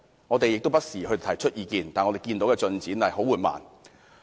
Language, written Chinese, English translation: Cantonese, 我們不時提出意見，但進展卻十分緩慢。, Though we have often raised our views the progress in this regard is very slow